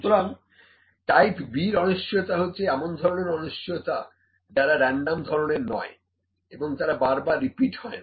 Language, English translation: Bengali, So, the type B uncertainties are the uncertainties which are not random which may or may not repeat each time